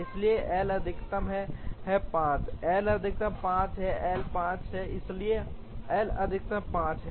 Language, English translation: Hindi, So, L max is 5, L max is 5, L is 5, so L max is 5